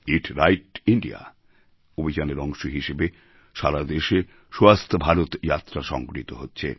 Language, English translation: Bengali, Under the aegis of "Eat Right India" campaign, 'Swasth Bharat' trips are being carried out across the country